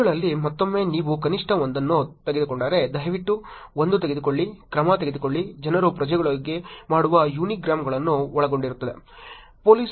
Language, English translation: Kannada, In the citizens again if you take at least one, please, one, take, action, people consist unigrams that are done within the citizens